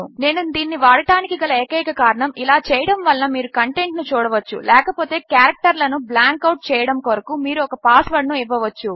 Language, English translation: Telugu, The only reason Im using this as type text is so you can see the content otherwise you can give it a password to blank out the characters